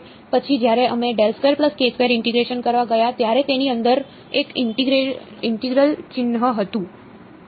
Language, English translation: Gujarati, Then when we went to integration there was an integral sign inside it